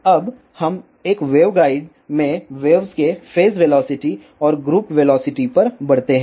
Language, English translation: Hindi, Now, let us move on to phase velocity and group velocity of waves in a waveguide